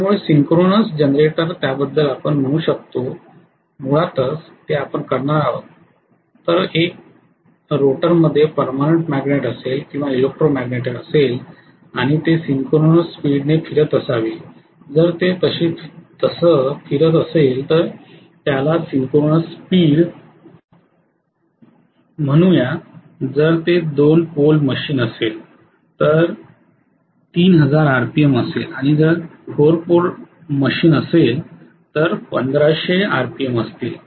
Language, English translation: Marathi, So in the case of synchronous generator we said basically that we are going to have either a permanent magnet or electro magnet in the rotor which will be rotated at synchronous speed and when it is being rotated at so called synchronous speed, if it is a 2 pole machine it will be 3000 RPM, if it is a 4 pole machine it will be 1500 RPM